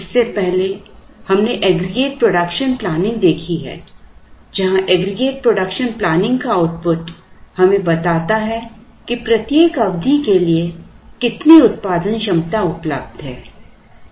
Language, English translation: Hindi, Earlier we have seen aggregate production planning where the output of the aggregate planning is telling us how much of production capacity is available for every period